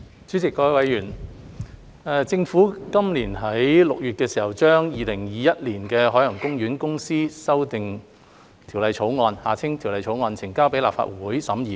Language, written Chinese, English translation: Cantonese, 主席、各位議員，政府於今年6月將《2021年海洋公園公司條例草案》呈交立法會審議。, President and Honourable Members the Government submitted the Ocean Park Corporation Amendment Bill 2021 to the Legislative Council for scrutiny in June this year